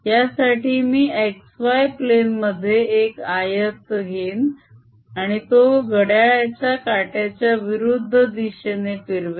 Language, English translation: Marathi, for this i'll take a rectangle in the x, z plane here and traverse it counter clockwise